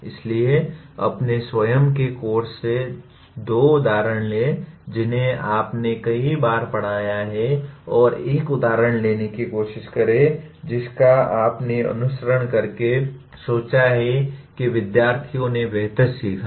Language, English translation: Hindi, So take two examples from your own course which you have taught several times and try to take an example from that you thought by following that the students have learned better